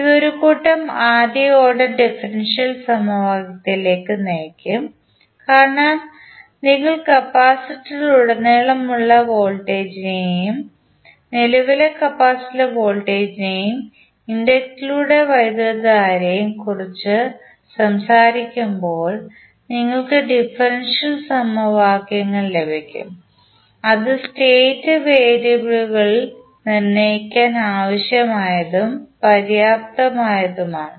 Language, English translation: Malayalam, This should lead to a set of first order differential equation because when you talk about the voltage and current voltage across capacitor and current at through inductor you will get the differential equations which is necessary and sufficient to determine the state variables